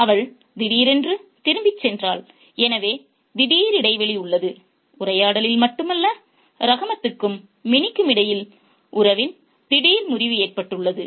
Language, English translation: Tamil, So, there is an abrupt break, not only in the conversation, there is also an abrupt break in the relationship too between Rahmat and meaning